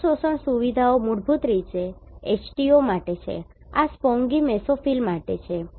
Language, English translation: Gujarati, So, these absorption features are basically for H2O this is for Spongy Mesophyll